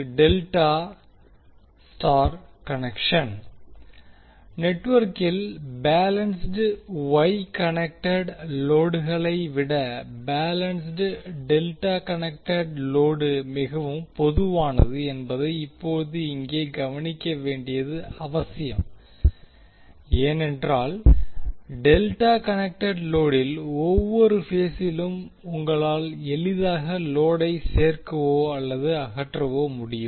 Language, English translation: Tamil, Now it is important to note here that the balanced delta connected load is more common in the network than the balanced Y connected load, because it is easy with the delta connected load that you can add or remove the load from each phase of the delta connected load